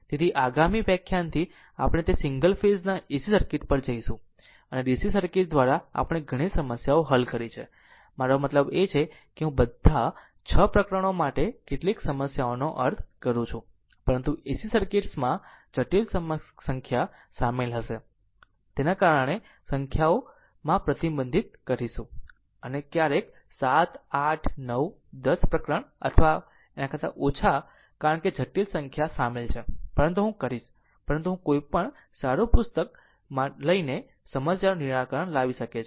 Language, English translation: Gujarati, So, from the next ah if you all next lecture we will go to that single phase ac circuit; and dc circuit we have solved several problems I mean I mean several problems for all 6 chapters, but in ac circuits as complex number will be involved and because of that we will restrict the number of numericals maybe 7 8 910 per each chapter or may less because complex number involved, but I will, but any good book when you will follow you will solve the problems